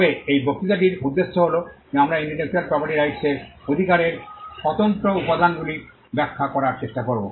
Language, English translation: Bengali, But for the purpose of this lecture, we will try to explain the independent ingredients that constitute intellectual property rights